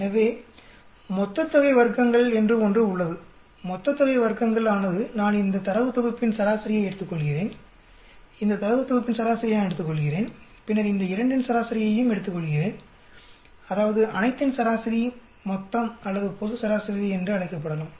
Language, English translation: Tamil, So there is something called total sum of squares, total sum of squares is I take average of this data set, I take average of this data set and then I take an average of both these, that is average total of the entire or it can be will call it global average